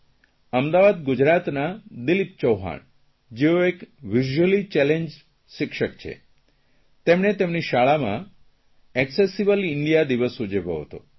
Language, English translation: Gujarati, Dilip Chauhan, from Ahmedabad, Gujarat, who is a visually challenged teacher, celebrated 'Accessible India Day' in his school